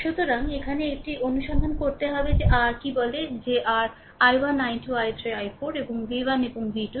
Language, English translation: Bengali, So, here you have to find out that what is your what you call that your i 1 i 2 i 3 i 4 and v 1 and v 2